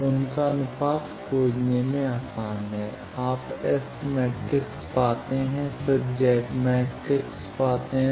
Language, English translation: Hindi, So, their ratio is easier to find, you find S matrix, then find the Z matrix